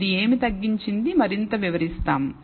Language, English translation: Telugu, What this reduced further means we will explain